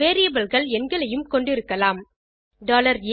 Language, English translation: Tamil, Variables can contain numbers $a=100